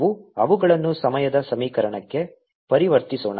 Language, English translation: Kannada, lets convert them into the time equation